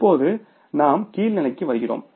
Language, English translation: Tamil, Now, we come to the lower level